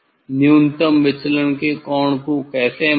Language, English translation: Hindi, How to measure the angle of minimum deviation